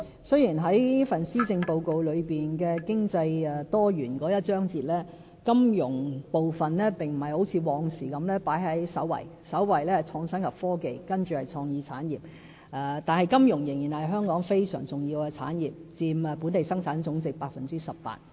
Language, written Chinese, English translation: Cantonese, 雖然在施政報告"多元經濟"的章節裏，"金融"並不如以往般放在首位——首位是"創新及科技"，接着是"創意產業"——但金融仍然是香港非常重要的產業，佔本地生產總值 18%。, Although Finance no longer comes first in the chapter on Diversified Economy in the Policy Address unlike the case before―Innovation and Technology holds the first place now followed by Creative Industries―yet finance is still of key importance to Hong Kong accounting for 18 % of our Gross Domestic Product